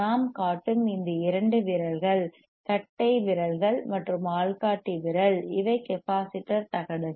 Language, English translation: Tamil, tTheseis two fingers that I am showing, it to you is; the thumb andenough index finger, these are capacitor plates